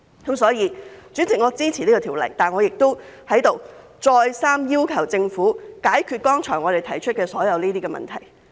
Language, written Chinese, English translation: Cantonese, 因此，主席，我支持《條例草案》，但我亦在此再次要求政府解決我們剛才提出的所有問題。, Therefore President although I support the Bill I am here to urge the Government again that it must solve all the aforesaid problems